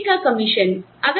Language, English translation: Hindi, And, you have sales commissions